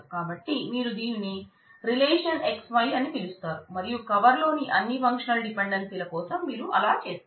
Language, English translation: Telugu, So, you call it the relation XY and you do that for all the functional dependencies in the cover